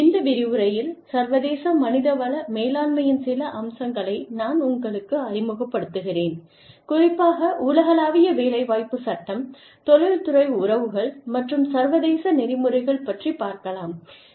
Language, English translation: Tamil, And, in this lecture, i will introduce you, to a few aspects of, International Human Resource Management, specifically, global employment law, industrial relations, and international ethics